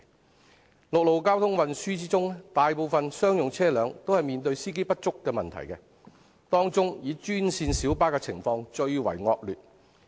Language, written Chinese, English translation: Cantonese, 在陸路交通運輸方面，大部分商用車輛均面對司機不足的問題，當中以專線小巴的情況最為惡劣。, With regard to land transport most commercial vehicles are faced with the problem of insufficient drivers . The green minibuses are the most hard hit